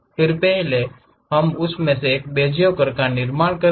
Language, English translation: Hindi, Then first, we will construct a Bezier curve in that